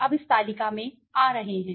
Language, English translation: Hindi, So, now coming to this table